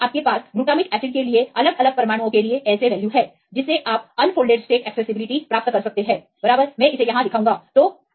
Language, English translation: Hindi, So, here you have the values of ASA for different atoms for the same glutamic acid you can get the unfolded state accessibility right I will show it here right